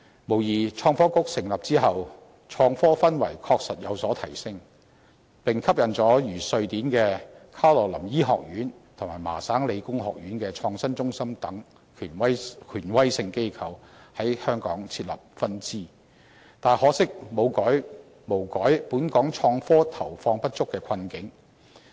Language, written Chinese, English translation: Cantonese, 無疑，在創新及科技局成立後，創科氛圍確實有所提升，並吸引了如瑞典的卡羅琳醫學院和麻省理工學院的創新中心等權威性機構在香港設立分支，可惜卻無改本港創科投放不足的困境。, It is true that after the establishment of the Innovation and Technology Bureau the climate for innovation and technology has improved and authoritative organizations such as Swedens Karolinska Institutet and the MIT Innovation Initiative have set up local branches in Hong Kong . All these however have not freed us from the impasse of inadequate allocation for innovation and technology